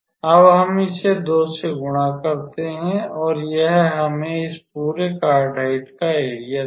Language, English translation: Hindi, So, we just multiply it by 2 and that will give us the area of this entire cardioide